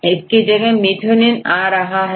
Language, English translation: Hindi, Right, methionine right